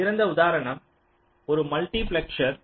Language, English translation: Tamil, well, one classical example is a multiplier